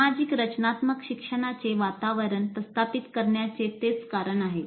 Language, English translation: Marathi, And that is the reason for establishing social constructivist learning environment